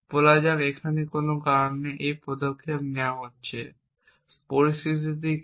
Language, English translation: Bengali, Let say it picks this action for some reason now, what is the situation